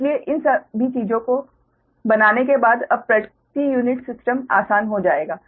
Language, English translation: Hindi, so after making all these things now, per unit system will be easier, right